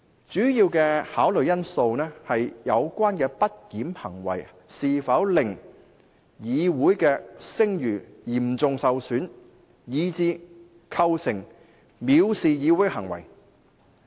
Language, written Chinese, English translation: Cantonese, "主要的考慮因素是有關的不檢行為是否令議院的聲譽嚴重受損，以致構成藐視行為。, The major consideration is whether the misbehaviour has brought about such serious disrepute to the House as to constitute a contempt